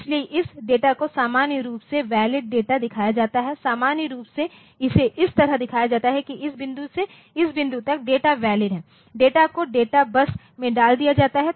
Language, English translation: Hindi, So, this data is normally shown the valid data is normally shown like this that suppose at this point from this point onwards the data is valid, data has been put on to the data bus